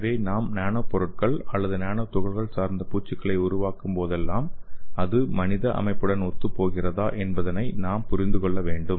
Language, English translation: Tamil, So whenever you make the nano materials or nano particles based coatings, so we have to understand whether it is compatible with the human system and also we have to understand whether it is compatible with the blood